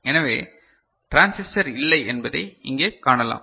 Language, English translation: Tamil, So, here you can see that the transistor is absent right